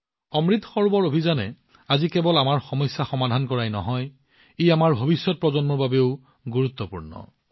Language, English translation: Assamese, The Amrit Sarovar Abhiyan not only solves many of our problems today; it is equally necessary for our coming generations